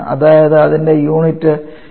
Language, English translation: Malayalam, That is its unit is kilo joule per kg